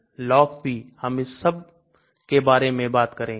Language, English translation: Hindi, LogP, we will talk about all these